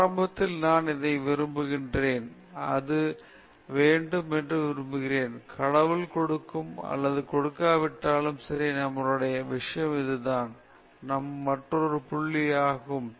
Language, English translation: Tamil, Initially, I want this, I want that, I want that; whether God will give or not give is not our this thing okay; that is another point